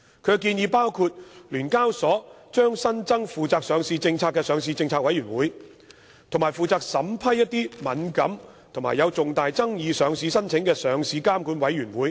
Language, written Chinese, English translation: Cantonese, 建議包括，聯交所將新增負責上市政策的上市政策委員會，以及負責審批敏感或有重大爭議的上市申請的上市監管委員會。, The proposals include the setting up of a Listing Policy Committee LPC and a Listing Regulatory Committee LRC under SEHK respectively charged with the listing policy and the vetting and approval of sensitive or highly controversial listing applications